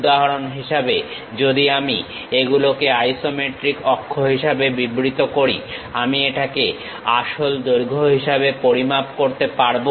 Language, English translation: Bengali, For example, if I am defining these are the isometric axis; I can measure this one as the true length